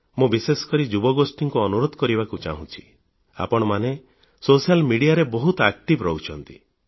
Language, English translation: Odia, I want to urge the youth especially that since you are very active on social media, you can do one thing